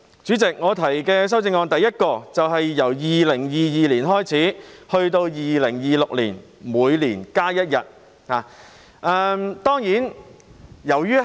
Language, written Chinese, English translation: Cantonese, 主席，我提出的第一項修正案，是由2022年開始至2026年，每年增加一天假期。, Chairman my first amendment seeks to increase an additional holiday every year starting from 2022 till 2026